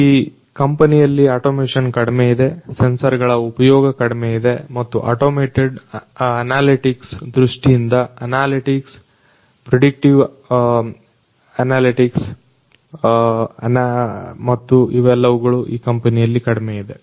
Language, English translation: Kannada, So, automation is low in this company, the use of sensors is also very low, and definitely you know analytics particularly from an automated analytics point of view, predictive analytics and all of these things are pretty low in this company